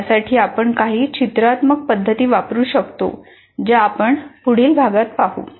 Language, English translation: Marathi, For this, one can use some graphic methods which we'll see in the later unit